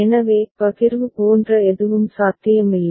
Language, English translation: Tamil, So, there is nothing like partition that is possible